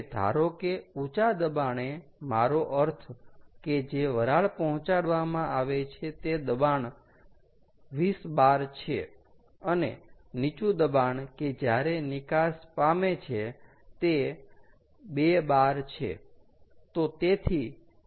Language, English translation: Gujarati, now, let us assume, lets assume, that the high pressure, i mean at which steam is um supplied to accumulator, is equal to twenty bar and the low pressure, where it is discharge, is two bar